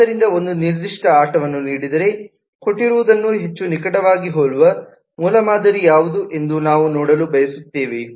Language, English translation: Kannada, so, given a particular game, we would like to see what is a prototype that resembles the given one most closely